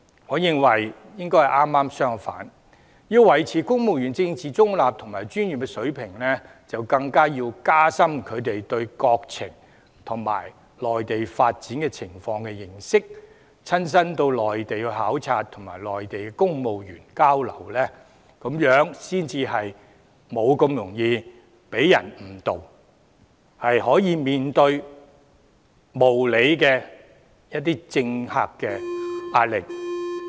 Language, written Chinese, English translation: Cantonese, 我認為應該剛好相反，因為要維持公務員的政治中立及專業水平，更應該要加深他們對國情及內地發展情況的認識，親身到內地考察並與內地公務員交流，才不會這麼容易被人誤導，可以面對一些無理政客的壓力。, In my view it should be the other way round because in order to maintain political neutrality and professionalism of civil servants their understanding on national affairs and the development of the Mainland should be strengthened . If they can have visits to the Mainland and have exchanges with the civil servants of the Mainland they will not be so easily misled by others and can face the pressure from some unreasonable politicians